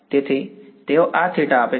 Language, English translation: Gujarati, So, they give this theta